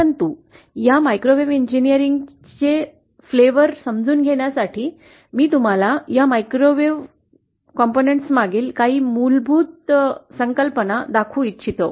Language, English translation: Marathi, But in order to understand a flavour of this microwave engineering, let me show you some of the basic concepts bind these microwave components